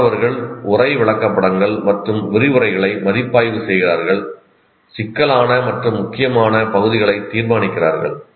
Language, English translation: Tamil, Students review texts, illustrations and lectures deciding which portions are critical and important